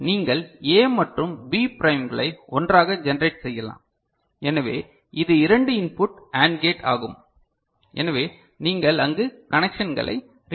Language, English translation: Tamil, So, you can generate A and B prime put together and so this is a two input AND gate, so that is the you know connections that you are retaining there